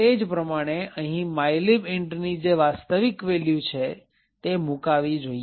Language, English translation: Gujarati, Similarly, over here the actual value of mylib int should be placed